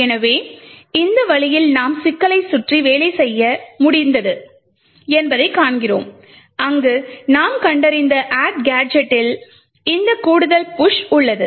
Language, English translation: Tamil, So in this way we see that we have been able to work around our issue where there is this additional push present in the add gadget that we have found